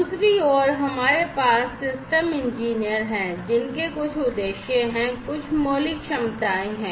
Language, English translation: Hindi, On the other hand, we have these system engineers who have certain objectives and have certain fundamental capabilities